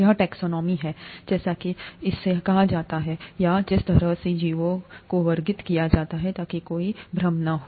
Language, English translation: Hindi, This is the taxonomy, as it is called, or the way organisms are classified so that there is no confusion